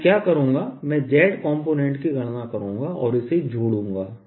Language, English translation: Hindi, what i'll do is i'll calculate the z component and add it